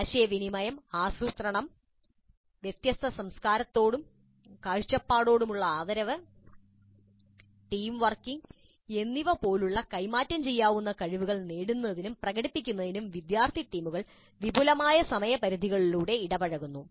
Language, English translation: Malayalam, Student teams engage in a series of interaction or extended time periods, leading them to acquire and demonstrate transferable skills such as communication, planning, respect for different cultures and viewpoints and teamworking